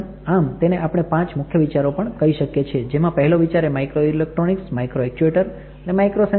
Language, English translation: Gujarati, So, again if you want to see five key concept first concept is it is made up of microelectronics, micro structure, micro actuators